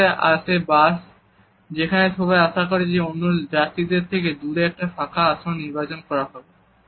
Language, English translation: Bengali, Next up the bus, where you are expected to choose an open seat away from other riders